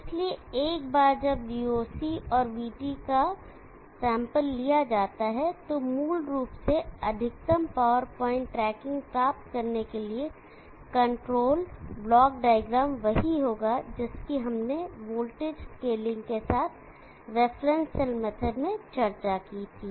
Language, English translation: Hindi, So once VOC and VT are sampled, basically the control block diagram for achieving maximum power point tracking will be same as what we had discussed in the reference cell method with voltage scaling